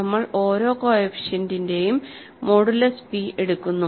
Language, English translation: Malayalam, We are just going modulo p for each of the coefficients